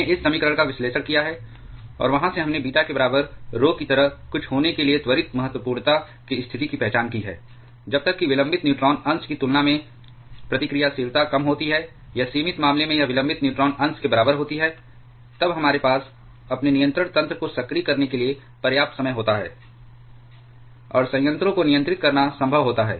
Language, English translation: Hindi, We have analyzed this equation and from there we have identified the condition of prompt criticality to be something like rho equal to beta; that is, as long as the reactivity is less than the delayed neutron fraction or at the limiting case it is equal to delayed neutrons fraction, then we have sufficient time to activate our control mechanism and it is possible to control the reactor